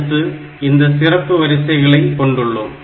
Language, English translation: Tamil, Then we have got some special lines